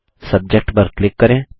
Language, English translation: Hindi, Simply click on Subject